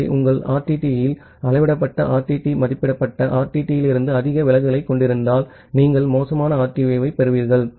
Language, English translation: Tamil, So, if your RTT has a measured RTT has too much deviation from the estimated RTT, then you will get the spurious RTO